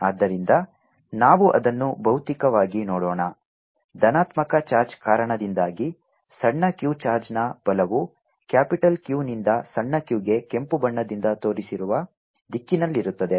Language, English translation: Kannada, the force on charge small q due to the positive charge, will be along the line from capital q to small q in the direction shown by red